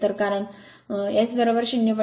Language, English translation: Marathi, So, because S is equal to 0